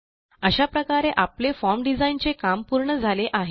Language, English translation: Marathi, And finally, we are done with our Form design